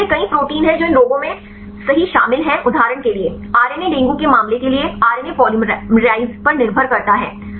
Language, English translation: Hindi, So, like there are several proteins which are involved right in these diseases right for example, RNA depend RNA polymerize right for the case of the dengue